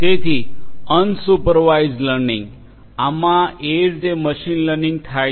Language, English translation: Gujarati, So, unsupervised learning; in this the machine learning happens in this way